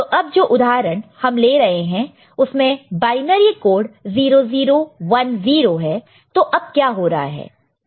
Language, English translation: Hindi, So, binary code is 0 0 1 0, right